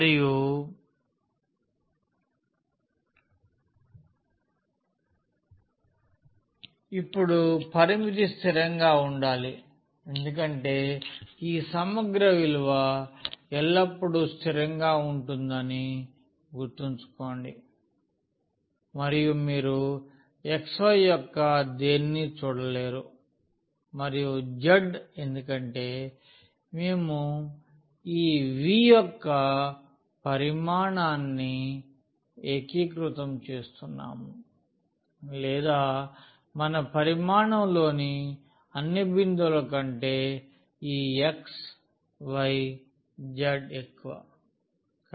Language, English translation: Telugu, And, now the limit has to be constant because always remember the value of this integral is a constant and you will not see anything of x y and z because, we are integrating over the volume this V or over all the points this xyz in our volume